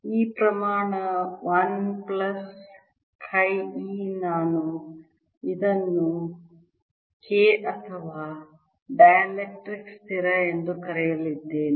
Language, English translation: Kannada, this quantity, one plus kai, we want to call k or the dielectric constant, right